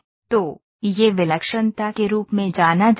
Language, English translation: Hindi, So, this is known as singularity